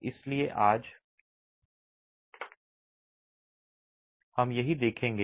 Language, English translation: Hindi, So, that's what we will look at today